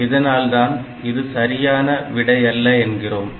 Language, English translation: Tamil, So, this solution is incorrect solution